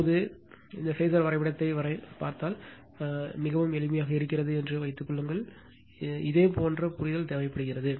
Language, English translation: Tamil, Now, if you look in to this phasor diagram, suppose there is there is very simple it is just a minute only understanding you require